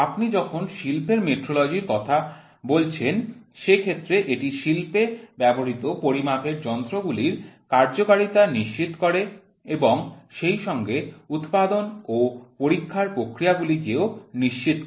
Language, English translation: Bengali, When you talk about industrial metrology, it deals with ensuring of the adequate functioning of measuring instruments used in industry as well as in the production and testing processes